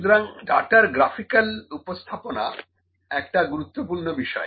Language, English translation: Bengali, So, it is important that is graphical representation of the data